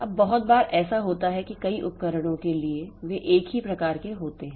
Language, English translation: Hindi, Now very often what happens is that for a number of devices they are of same type